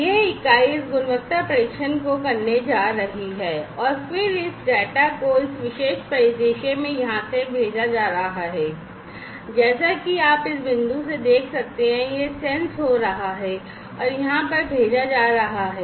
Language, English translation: Hindi, So, this unit is going to do this quality testing, and then this data is going to be sent from here in this particular scenario, as you can see from this point it is going to be sensed and sent over here